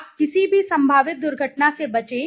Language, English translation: Hindi, You avoid any possible you know accident